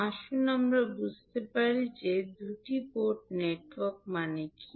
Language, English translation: Bengali, So, let us understand what two port network